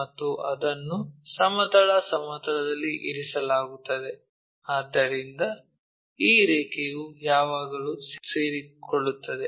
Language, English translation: Kannada, And it is resting on horizontal plane, so this line always coincides